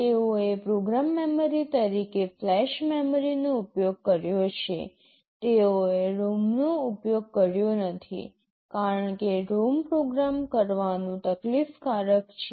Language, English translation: Gujarati, They have used flash memory as the program memory, they have not used a ROM because programming a ROM is quite troublesome